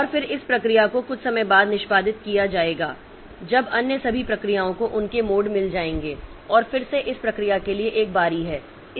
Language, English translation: Hindi, And again this process will be executed sometime later when all other processes have got their turns and again this is a turn for this process